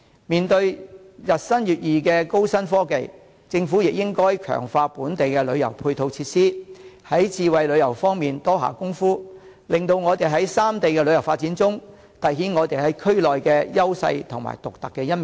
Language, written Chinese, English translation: Cantonese, 面對日新月異的高新科技，政府亦應該強化本地的旅遊配套設施，在智慧旅遊方面多下工夫，令本港在三地的旅遊發展中，凸顯我們在區內的優勢和獨特的一面。, In face of rapidly changing new technologies the Government should also strengthen our tourist supporting facilities and spend more effort in smart tourism so that Hong Kong can stand out among the three places with her edge and uniqueness in tourism development